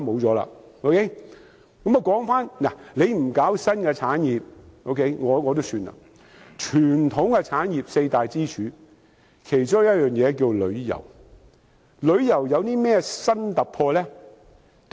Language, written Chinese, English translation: Cantonese, 政府不搞新的產業也算了，傳統產業中的四大支柱，其中一項是旅遊業，旅遊業有何新突破？, It does not matter that the Government has failed to promote the development of new industries; but what has it done regarding the four traditional pillar industries? . Are there any breakthroughs in tourism which is one of the pillar industries?